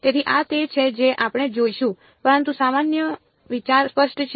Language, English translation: Gujarati, So, this is what we will look at, but is the general idea clear